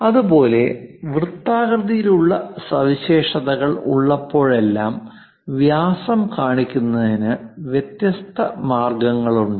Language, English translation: Malayalam, Similarly, whenever circular features are there, there are different ways of showing diameter